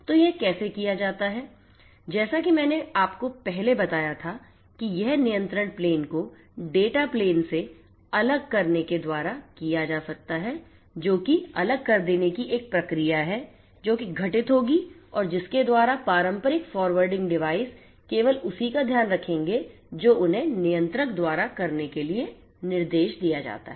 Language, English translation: Hindi, So, how it is done as I told you earlier it can be done by separating out the control plane from the data plane a process of decoupling that will have to happen and by which the traditional forwarding devices will only take care of what they are instructed to do by the controller the control plane equipment